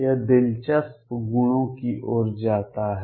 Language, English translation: Hindi, This leads to interesting properties